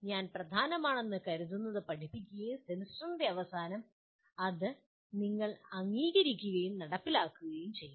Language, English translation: Malayalam, I teach what I consider important and at the end of the semester that is what you are required to accept and perform